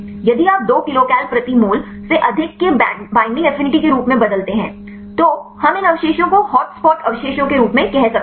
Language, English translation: Hindi, If you change as the binding affinity of more than 2 kilocal per mole then we can say these residues as hot spot residues right